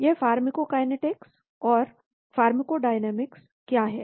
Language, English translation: Hindi, What is this pharmacokinetics and pharmacodynamics